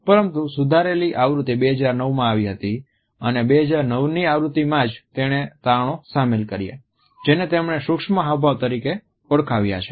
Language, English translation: Gujarati, But the revised version came up in 2009 and it was in the 2009 edition that he has incorporated his findings about what he has termed as micro expressions